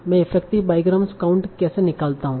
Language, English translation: Hindi, So what kind of effective bygram count do you see